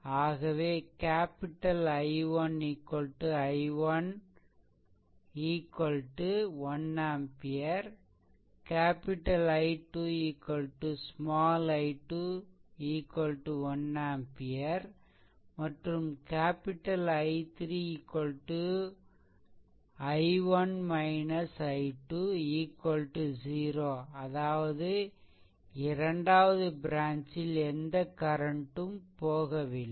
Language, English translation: Tamil, Thus capital I 1 is equal to i 1 and I told you at the beginning it is 1 ampere I 2 is equal to small i 2 is 1 ampere and capital I 3 in the direction is downwards I 1 minus I 2 that is equal to 0; that means, in that second branch there is no current flowing, right